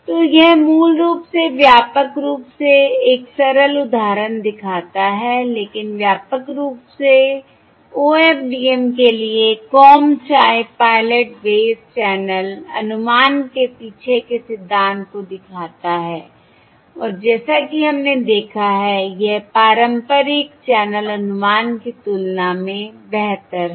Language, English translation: Hindi, So this basically sort of comprehensively illustrate a simple example, but comprehensively illustrates the principle behind the Comb Type Pilot based channel estimation for OFDM and, as we have seen, this is preferable compared to conventional channel estimation Where the pilot symbols are loaded on all the subcarriers